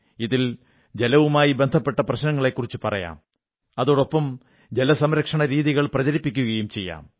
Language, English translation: Malayalam, In this campaign not only should we focus on water related problems but propagate ways to save water as well